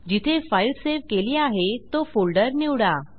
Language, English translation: Marathi, Choose the folder in which the file is saved